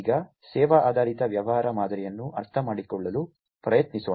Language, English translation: Kannada, Now, let us try to understand the service oriented business model